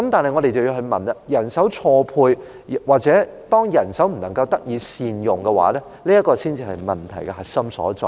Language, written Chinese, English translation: Cantonese, 但是，我覺得人手錯配或人手不能夠得以善用，這才是問題的核心所在。, Nevertheless in my view mismatching of manpower or not making the best use of manpower is the crux of the problem